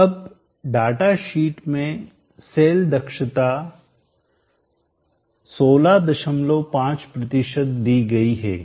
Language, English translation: Hindi, Now the cell efficiency from the data sheet is given as 16